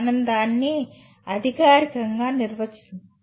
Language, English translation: Telugu, We will formally define it